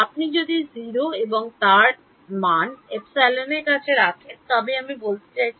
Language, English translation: Bengali, If you put epsilon r of tau equal to 0, but I mean